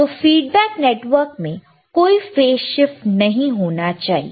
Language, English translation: Hindi, So, feedback network should not have any kind of phase shift right,